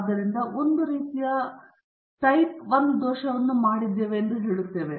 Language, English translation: Kannada, So, then we say that a type I error has been made